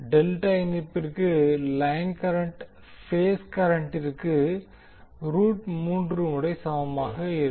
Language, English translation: Tamil, So for the delta connection the line current will be equal to root 3 times of the phase current